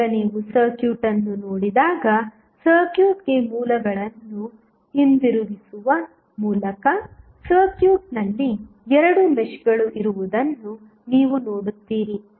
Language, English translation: Kannada, Now, when you see the circuit, why by keeping the sources back to the circuit, you will see there would be 2 meshes in the circuit